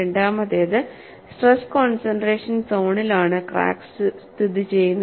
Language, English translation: Malayalam, Second one is crack is situated in a stress concentration zone